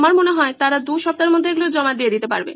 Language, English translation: Bengali, I think they should be able to submit something 2 weeks from today